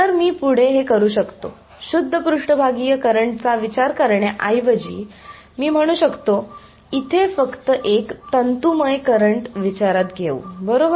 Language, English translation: Marathi, So, I can further do this I can say instead of considering the pure surface current let me con consider just a filamentary current over here right